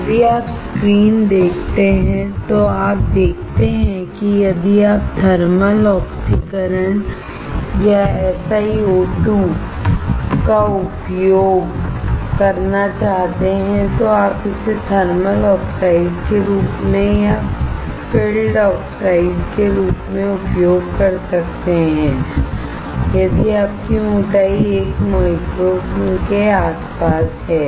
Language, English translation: Hindi, If you see the screen, you see that if you want to use the thermal oxidation or SiO2, you can use it as a thermal oxide or as a filled oxide if your thickness is around 1 micron